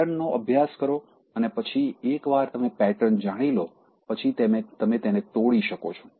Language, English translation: Gujarati, Study the pattern and then once you know the pattern, you can break it